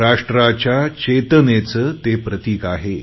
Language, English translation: Marathi, It symbolises our national consciousness